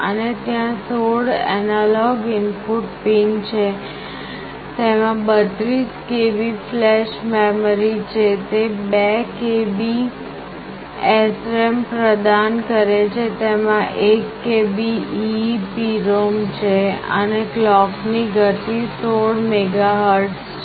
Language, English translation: Gujarati, And there are 16 analog input pin, it has a flash memory of 32 KB, it provides SRAM of 2 KB, it has got an EEPROM of 1 KB, and the clock speed is 16 MHz